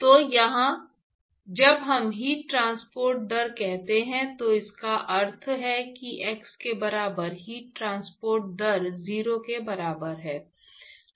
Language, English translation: Hindi, So, here when we say heat transport rate, what is meaningful is the heat transport rate at x equal to 0